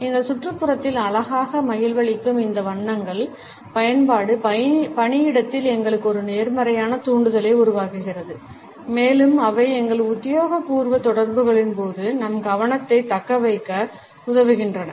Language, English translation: Tamil, The use of those colors which are aesthetically pleasing in our surrounding create a positive stimulation in us at the workplace and they help us in retaining our focus during our official interactions